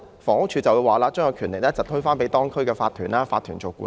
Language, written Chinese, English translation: Cantonese, 房屋署往往會把權力推給法團，交由法團處理。, Very often HD would delegate the power to the owners corporation OC and leave the matter to it